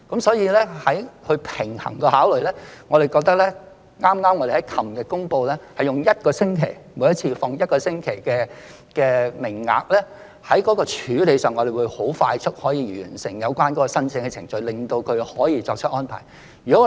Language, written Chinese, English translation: Cantonese, 所以，在平衡這些考慮後，我們認為剛剛在昨天公布，每星期開放預約一次，提供一個星期的名額的處理方法，讓我們可以快速完成有關申請的程序，從而令他們可以作出相關的安排。, Therefore after balancing all these considerations we consider that the method announced yesterday by opening the quota for one week at a time will allow us to complete the application process expeditiously thus enabling them to make the relevant arrangements